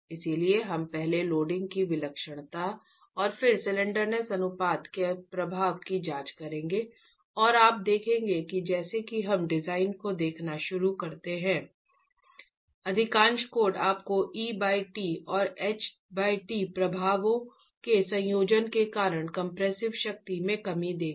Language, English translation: Hindi, So we'll examine the intensity of loading first and then the effect of slenderness ratio and you will see as we start looking at design that most codes would give you the reduction in compressive strength because of a combination of E by T and H by T fx